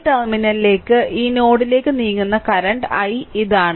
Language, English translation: Malayalam, This is the current i that moving going to this terminal this this node right